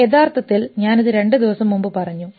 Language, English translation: Malayalam, Actually, I just read it two days back